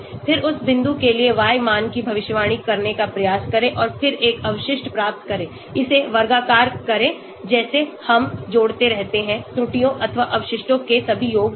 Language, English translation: Hindi, then try to predict the y value for that point and then get a residual, square it, like that we keep on adding all the sum of squares of the errors or residuals